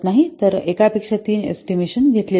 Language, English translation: Marathi, So, three estimates are obtained rather than one